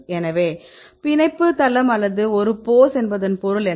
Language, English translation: Tamil, So, what is the meaning of binding site or a pose right